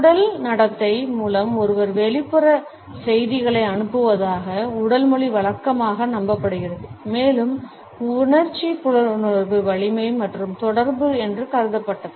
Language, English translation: Tamil, Body language conventionally believed that one sends external messages through body behaviour and it was thought that sensory perception strength and communication